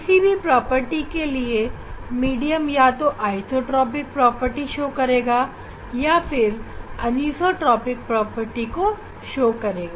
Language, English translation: Hindi, for any property, the medium can show the isotropic property or anisotropic property